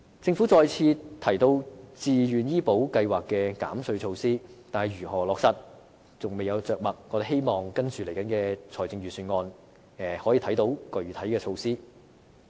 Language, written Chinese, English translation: Cantonese, 政府再次提到自願醫保計劃的減稅措施，但如何落實則未有着墨。我們希望接下來的財政預算案可以讓我們看到具體的措施。, The Government has again mentioned tax incentives for the Voluntary Health Insurance Scheme but made no mention of how this measure will be implemented and we hope to see concrete measures in the ensuing Budget